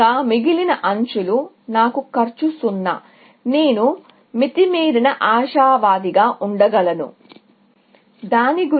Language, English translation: Telugu, The rest of the edges, I have cost 0; I can be overly optimistic